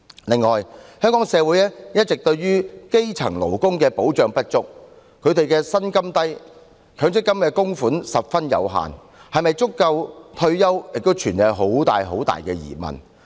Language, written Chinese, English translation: Cantonese, 另外，香港社會一直對於基層勞工保障不足，他們的薪金低，強積金供款十分有限，是否足夠應付退休生活亦有很大疑問。, Moreover the protection for grass - roots workers has all along been inadequate in Hong Kong society . Their low salaries result in very limited MPF contributions . It is doubtful whether these contributions will be able to cope with their livelihood needs in retirement